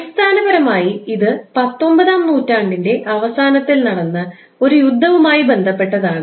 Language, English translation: Malayalam, Basically this is related to a war that happened in late 19th century